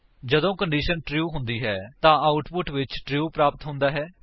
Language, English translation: Punjabi, true is the output when the condition is true